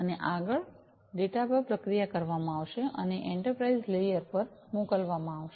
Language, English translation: Gujarati, And further the data are going to be processed and sent to the enterprise layer